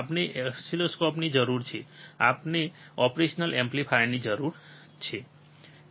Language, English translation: Gujarati, We need oscilloscope, and we need a operational amplifier